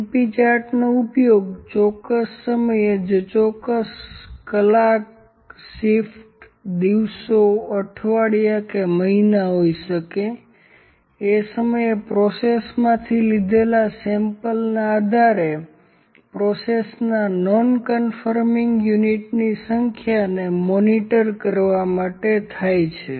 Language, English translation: Gujarati, np charts is used to monitor the number of non conforming units of a process based on samples taken from the processes at a given time maybe at specific hours, shifts, days, weeks, months, etc